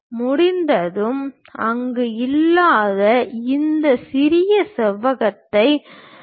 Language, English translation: Tamil, Once done, transfer this small rectangle also, which is not there